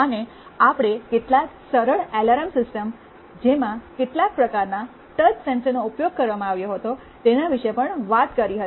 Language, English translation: Gujarati, And also we talked about some simple alarm systems using some kind of touch sensors, and so on